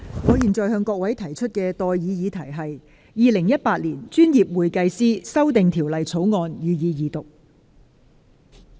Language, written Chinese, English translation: Cantonese, 我現在向各位提出的待議議題是：《2018年專業會計師條例草案》，予以二讀。, I now propose the question to you and that is That the Professional Accountants Amendment Bill 2018 be read the Second time